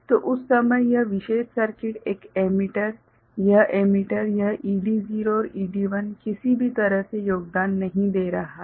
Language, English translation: Hindi, So, at that time this particular circuit right, this emitter, this emitter, this ED0 and ED1 is not you know contributing in anyway